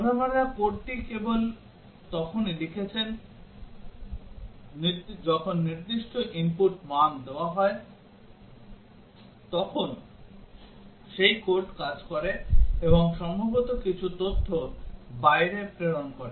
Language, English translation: Bengali, That the programmers has written the code only when certain input values are given then that code works and possibly transmit some data outside and so on